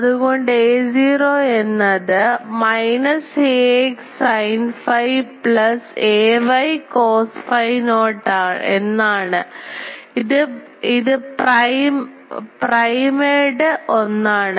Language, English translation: Malayalam, So, a phi means minus ax sin phi plus ay cos phi naught the primed one